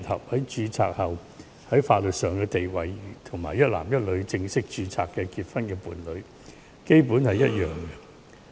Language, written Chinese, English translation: Cantonese, 經註冊後同性伴侶在法律上的地位，與一男一女正式註冊結婚的伴侶，基本上是一樣的。, The legal status of a same - sex married couple is basically the same as a man and a woman who have gone through the formal marriage registration process